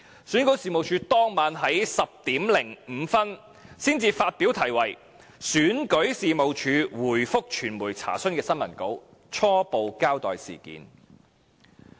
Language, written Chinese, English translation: Cantonese, 選舉事務處在當晚10時05分才發表題為"選舉事務處回覆傳媒查詢"的新聞稿，初步交代事件。, On that night at 10col05 pm REO issued a press release titled REO responds to media enquiries to preliminarily report the incident